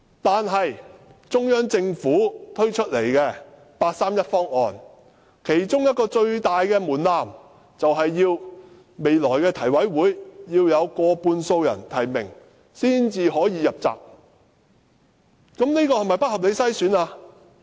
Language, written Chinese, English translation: Cantonese, 不過，中央政府推出的八三一方案，其中一個最大的門檻，便是未來的提名委員會要得到過半數人提名才能"入閘"，這是否不合理的篩選？, But the biggest threshold in the Central Authorities 31 August Proposal is that any potential Chief Executive candidate shall require the nomination of over half of the Election Committee members to be a valid candidate . Is this an unreasonable screening?